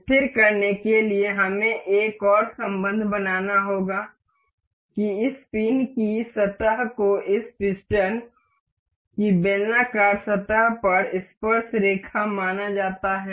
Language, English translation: Hindi, To fix, this we will have to make another relation that this surface of this pin is supposed to be tangent over the cylindrical surface of this piston